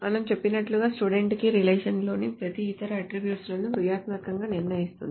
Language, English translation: Telugu, And as we said, a candidate key functionally determines every other attribute of the relation